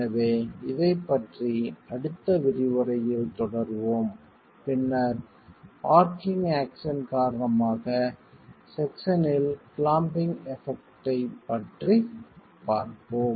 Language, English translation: Tamil, So, we will continue in the next lecture on this and then look at the effect of clamping in the section itself due to arching action